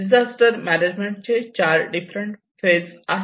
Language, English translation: Marathi, Whereas the disaster management follows four different phases